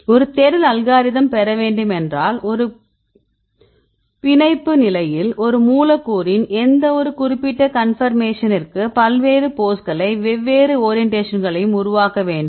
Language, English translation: Tamil, So, then if you need to derive a search algorithm, which generates various poses and different orientations right for any particular conformation of a molecule at the binding state